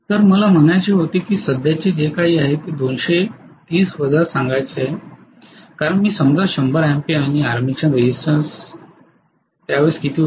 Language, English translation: Marathi, So I had to say 230 minus whatever it is the current because 100 ampere I suppose and how much was the armature resistance